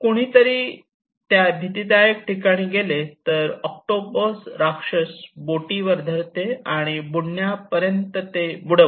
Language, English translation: Marathi, When one goes to these places, the giant octopus holds onto the boat and sinks it till it drowns